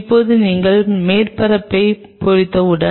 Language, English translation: Tamil, Now, once you have etched the surface